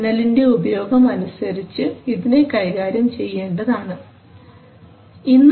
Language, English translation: Malayalam, So depending on the usage of the signal you have to deal with it